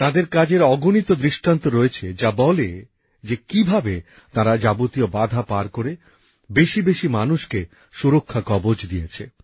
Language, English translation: Bengali, There are innumerable instances about them that convey how they crossed all hurdles and provided the security shield to the maximum number of people